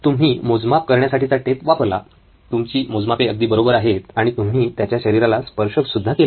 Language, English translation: Marathi, You do use the measuring tape, your measurements are perfect and you have touched him